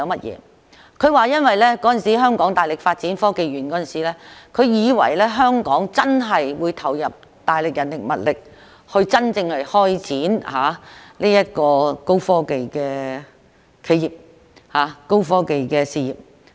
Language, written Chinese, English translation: Cantonese, 因為當年香港大力發展香港科學園時，他以為香港真的會投入大量人力和物力，真正支持高科技企業、發展高科技的事業。, Because when Hong Kong was vigorously developing the Hong Kong Science Park back then he thought that Hong Kong would really invest a lot of manpower and material resources to genuinely support high - tech enterprises and develop high - tech business